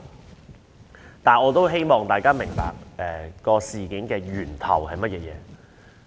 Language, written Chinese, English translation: Cantonese, 然而，我希望大家能明白事件的起因是甚麼。, However I do hope Members can understand what caused the incident